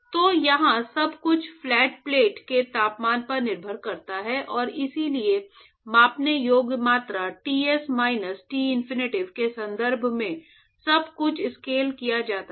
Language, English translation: Hindi, So, here everything depends upon the temperature of the flat plate and therefore, everything has to be scaled with respect to the measurable quantities Ts minus Tinfinity